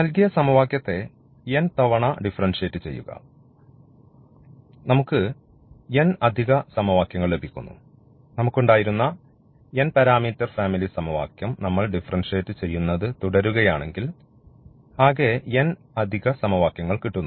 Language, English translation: Malayalam, So, here how to get this actually, so differentiate the given equation n times; and we get an additional equations there was a given n parameter family equation we differentiate keep on differentiating this family